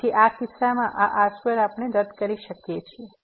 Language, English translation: Gujarati, So, in this case this square we can cancel out